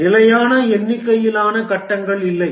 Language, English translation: Tamil, There is no fixed number of phases